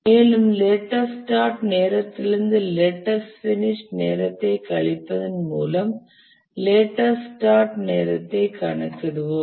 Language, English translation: Tamil, And then from the latest start time, the latest finish time will compute the latest start time by subtracting the duration